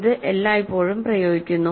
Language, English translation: Malayalam, It is applied all the time